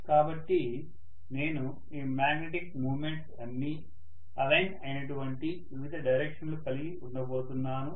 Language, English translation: Telugu, So I am going to have multiple directions towards which all these magnetic moments are aligned, right